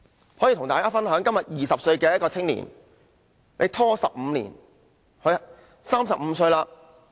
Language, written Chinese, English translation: Cantonese, 我可以跟大家分享，今天一個20歲的青年，這樣拖了15年，便35歲。, Let me share with you this story . When a young man of 20 years old today drags on for 15 years he will turn 35